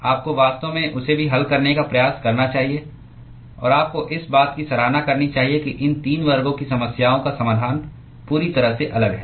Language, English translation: Hindi, You should actually even try to solve that also; and you must appreciate that the these 3 classes of problems have completely different solution